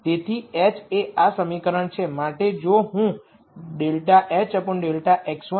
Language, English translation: Gujarati, So, h is this equation so if I do go h dou x 1 dou h dou x 2